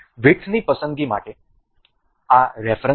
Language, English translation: Gujarati, This is the reference for the width selections